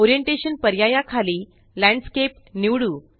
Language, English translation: Marathi, Under the Orientation option, let us select Landscape